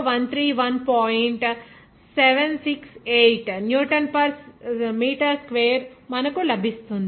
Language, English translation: Telugu, 768 Newton per meter square